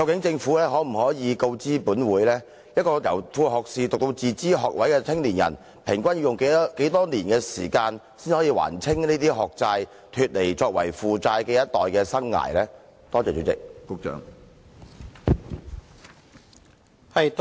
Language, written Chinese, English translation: Cantonese, 政府可否告知本會，年輕人由副學士學位唸到自資學位畢業後，平均要用多少年時間，才能還清這些學債，脫離負債的生涯呢？, Can the Government inform this Council on average how many years do young people spend to settle such student debts and be debt - free from the time they pursue sub - degrees to the time they graduate from self - financing degrees?